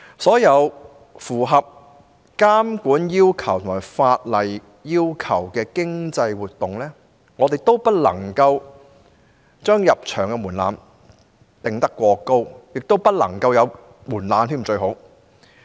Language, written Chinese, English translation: Cantonese, 所有符合監管要求及法例要求的經濟活動的入場門檻均不能過高，最好不要設任何門檻。, The entry thresholds for all economic activities that have complied with regulatory and legal requirements cannot be too high and it would be better if no threshold is set